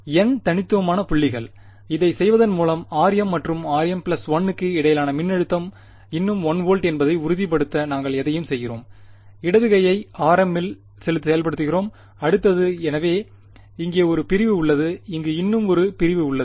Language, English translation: Tamil, N discrete points, by doing this are we doing anything to ensure that the voltage between r m and r m plus 1 is still 1 volt, we are enforcing the left hand side at r m then the next; so we have one segment over here we have one more segment over here